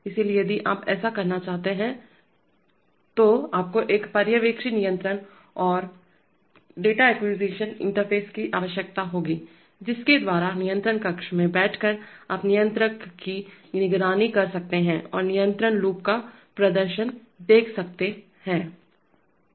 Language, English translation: Hindi, So if you want to do that then you need to have a supervisory control and data acquisition interface by which, sitting in the control room you can monitor the controller and see the performance of the control loop